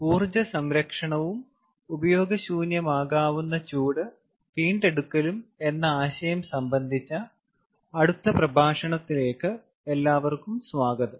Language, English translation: Malayalam, welcome to the next lecture of energy conservation and waste heat recovery